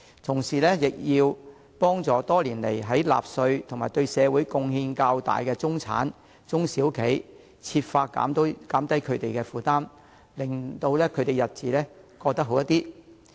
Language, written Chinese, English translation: Cantonese, 此外，政府應幫助多年來納稅較多及對社會貢獻較大的中產及中小型企業，設法減低他們的負擔，令他們的日子好過一些。, Furthermore the Government should assist members of the middle class who have paid relatively more tax and made more contribution over the years as well as small and medium enterprises by easing their burdens so that they can lead a better life